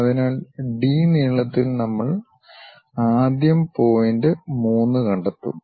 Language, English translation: Malayalam, So, with D length, we will first of all locate point 3